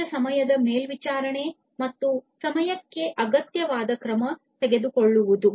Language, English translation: Kannada, Real time monitoring and taking required action on time